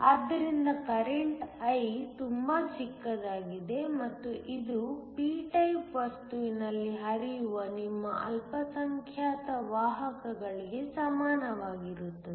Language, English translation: Kannada, So, current I will be very small and it will be equal to your minority carriers flowing in a p type material